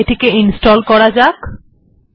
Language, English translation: Bengali, Let me install it